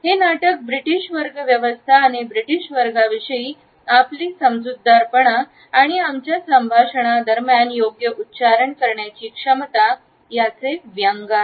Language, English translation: Marathi, This play is a satire on the British class system and how our understanding of the British class is based on our capability to use a proper accent during our conversation